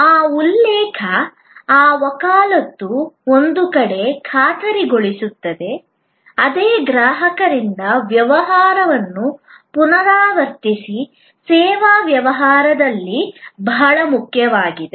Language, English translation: Kannada, That referral, that advocacy ensures on one hand, repeat business from the same customer, extremely important in service business